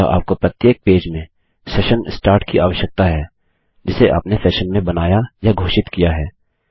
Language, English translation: Hindi, So you need session start inside every page that you call or declare a session in